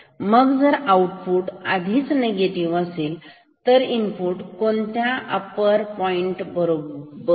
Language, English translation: Marathi, So, if output is already negative then compare in input with what upper trigger point